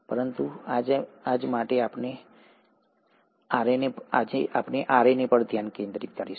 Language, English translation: Gujarati, But for today, we’ll focus our attention on RNA